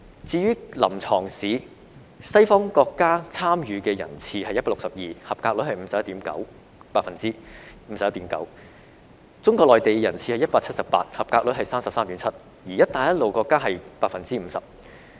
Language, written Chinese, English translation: Cantonese, 至於臨床試，西方國家的參與人次是 162， 及格率是 51.9%； 中國內地的參與人次是 178， 及格率是 33.7%；" 一帶一路"國家則是 50%。, For the clinical examination part of the examination there were 162 candidates from western countries and the passing rate was 51.9 % ; 178 candidates from Mainland China and the passing rate was 33.7 % ; and some candidates from Belt and Road countries and the passing rate was 50 %